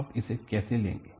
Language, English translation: Hindi, How do you do it